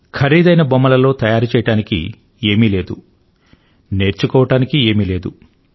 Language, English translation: Telugu, In that expensive toy, there was nothing to create; nor was there anything to learn